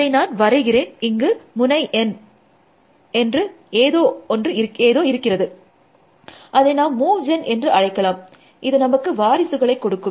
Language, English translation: Tamil, Let me draw it here, so there is some node N, we will call move gen, it will give us some successors